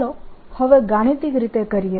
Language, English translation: Gujarati, let's see it mathematically